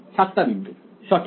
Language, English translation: Bengali, 7 points right